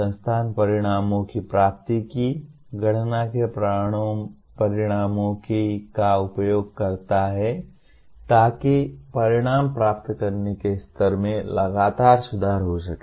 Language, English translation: Hindi, The institution uses the results of calculating the attainment of outcomes to continuously improve the levels of outcome attainment